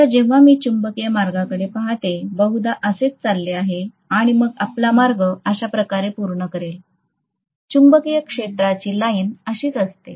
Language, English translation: Marathi, Now when I look at the magnetic path, it is probably going to go like this, go like this and then it will complete its path like this, this is the way the magnetic field line is going to be, right